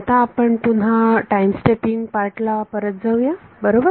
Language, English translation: Marathi, Now, we let us go back to the time stepping part right